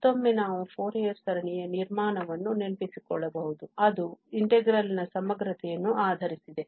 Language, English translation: Kannada, And, again we can relate, recall to the construction of the Fourier series that was based on the equating integrals